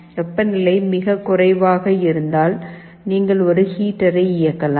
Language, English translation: Tamil, If the temperature is very low, you can turn ON a heater